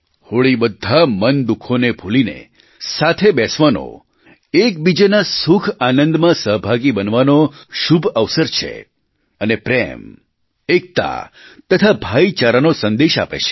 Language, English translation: Gujarati, Holi makes us forget our rancours and gives us an opportunity to be a part of each other's happiness and glad tidings, and it conveys the message of love, unity and brotherhood